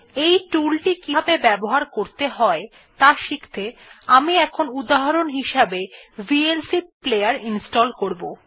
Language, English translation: Bengali, To learn how to use this tool, I shall now install the vlc player as an example